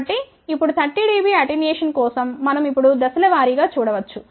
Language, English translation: Telugu, So, for now 30 dB attenuation we can now look at step by step